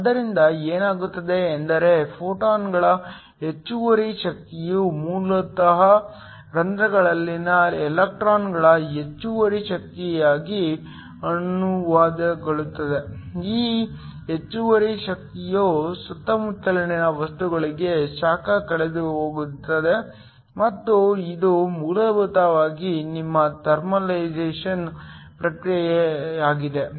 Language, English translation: Kannada, So, what happens is that the excess energy of the photons basically gets translated into excess energy of the electrons in holes, this excess energy is lost as heat to the surrounding material and this is essentially your thermalization process